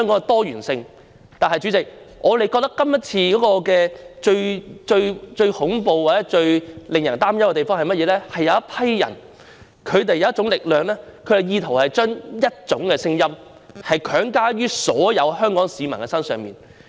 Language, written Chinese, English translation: Cantonese, 但是，主席，我們覺得這次選舉最恐怖、最令人擔憂的地方，是有一群人、有一種力量......他們意圖將一種聲音強加於所有香港市民身上。, However President we think the most terrifying and worrying part of this election is that there is a group of people a kind of force they attempt to force a view on all Hong Kong people